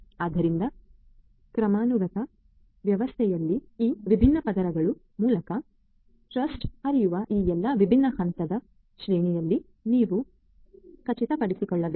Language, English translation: Kannada, So, in a hierarchical system, you also need to ensure that in all these different levels of hierarchy that the trust flows through these different layers of hierarchy